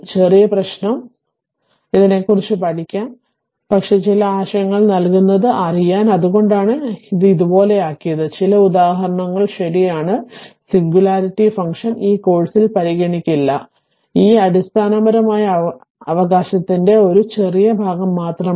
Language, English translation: Malayalam, Little bit problem not much problem, we will study on this, but just to you know give you a some ideas; that is why we have made we have made it like this, some example right, other singularity function we will not consider in this course; this is just little bit of basic right